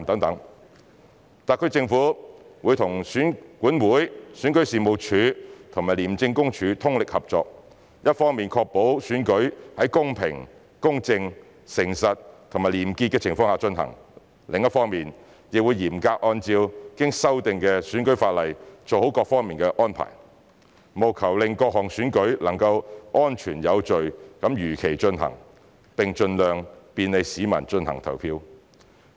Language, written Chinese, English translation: Cantonese, 特區政府會與選舉管理委員會、選舉事務處及廉政公署通力合作，一方面確保選舉在公平、公正、誠實及廉潔的情況下進行；另一方面亦嚴格按照經修訂的選舉法例做好各方面的安排，務求令各項選舉能夠安全有序地如期進行，並盡量便利市民進行投票。, The SAR Government will join hands with the Electoral Affairs Commission the Registration and Electoral Office and also the Independent Commission Against Corruption to ensure the fair just honest and clean conduct of the elections on the one hand and to draw up proper arrangements in various respects in strict accordance with the amended electoral legislation on the other with a view to ensuring the safe and orderly conduct of the various elections as scheduled and making it as convenient as possible for people to cast their votes